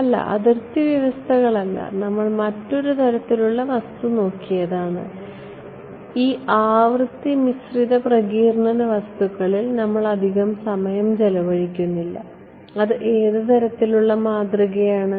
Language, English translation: Malayalam, No, not boundary conditions what we looked at another kind of material, no one big we spend a lot of time on this frequency dependent dispersive materials and which kind of model